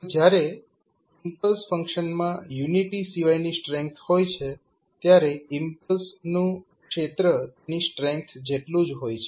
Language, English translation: Gujarati, So, when the impulse function has a strength other than the unity the area of the impulse is equal to its strength